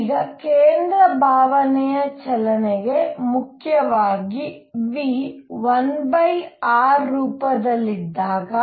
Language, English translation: Kannada, Now, for central feel motion mainly when v is of the form 1 over r